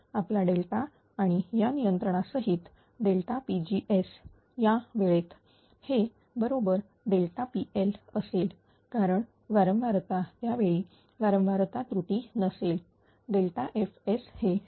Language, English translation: Marathi, Our delta and with this controller at the time delta P g S; will be exactly delta P L it will because frequency at the time there is no frequency error delta F S S is 0